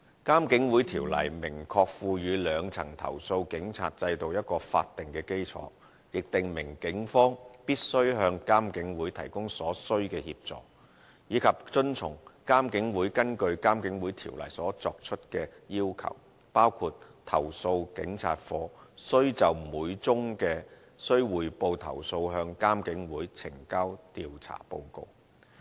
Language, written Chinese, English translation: Cantonese, 《監警會條例》明確賦予兩層投訴警察制度法定基礎，亦訂明警方必須向監警會提供所須的協助，以及遵從監警會根據《監警會條例》所作出的要求，包括投訴警察課須就每宗須匯報投訴向監警會呈交調查報告。, The IPCC Ordinance expressly provides a statutory foundation for the two - tier police complaints system . It has also stipulated that the Police have to provide the necessary assistance to the IPCC and to comply with IPCCs requests made under the IPCC Ordinance including submitting the investigation report of each reportable complaint by CAPO to IPCC